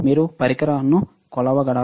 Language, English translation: Telugu, Can you measure the devices